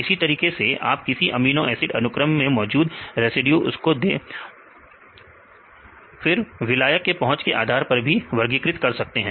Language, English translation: Hindi, Likewise for any amino acid sequence you are classifying these residues based on solvent accessibility